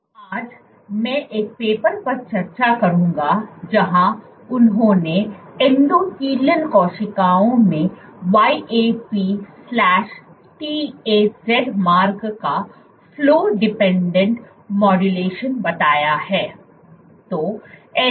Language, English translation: Hindi, Today I will discuss one paper where they have described the Flow dependent modulation of YAP/TAZ pathway in endothelial cells